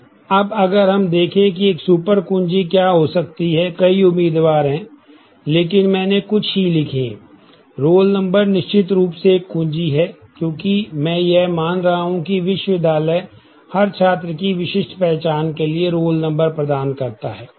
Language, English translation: Hindi, Now, if we look at what could be a super key there are several candidates, but I have just written a few roll number is certainly a key, because I am assuming that the university assigns roll numbers to uniquely identify every student